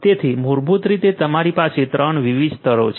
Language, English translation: Gujarati, So, basically you have 3 different layers